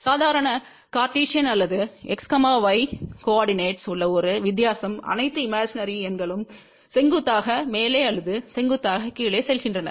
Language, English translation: Tamil, The only difference over here in the normal cartesian or x, y coordinator all the imaginary numbers go vertically up or vertically down